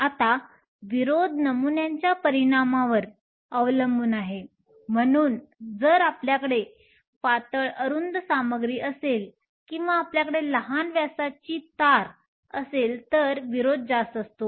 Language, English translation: Marathi, Now, resistance depends upon the dimensions of the sample, so if you have a thinner material or if you have a wire with a smaller diameter, then the resistance is higher